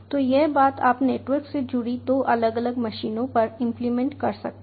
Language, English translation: Hindi, so this thing you can implement on two different machines connected to the network